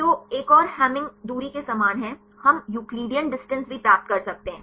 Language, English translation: Hindi, So, another is similar to Hamming distance; we can also a get the Euclidean distance